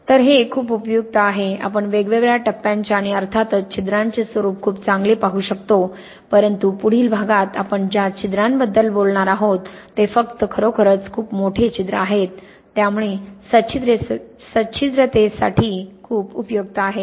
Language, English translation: Marathi, So, this is very useful we can really see very well the disposition of the different phases and of course the pore but as we will talk about in the next part the pores, we see are only really the very large pore so it is not so useful for porosity